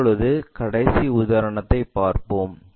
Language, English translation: Tamil, Now, let us look at another example